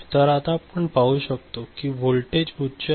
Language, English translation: Marathi, So, that is what you can see now, that this voltage is now held at high